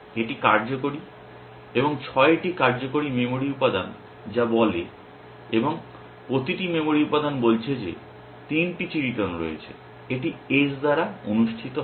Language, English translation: Bengali, That is effective and 6 working memory element in which says and each memory element is saying that there is 3 of clubs it is held by S